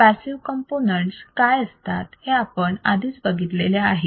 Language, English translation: Marathi, We already have seen what are all the passive components